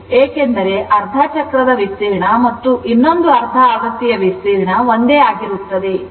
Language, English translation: Kannada, Because, area for half cycle and another half cycle remain same